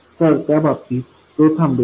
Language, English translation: Marathi, So in that case, it will stop